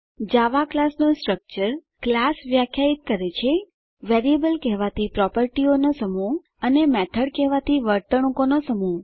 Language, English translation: Gujarati, Structure of a Java Class A class defines: A set of properties called variables And A set of behaviors called methods